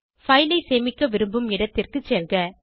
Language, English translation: Tamil, Browse the location where you want to save the file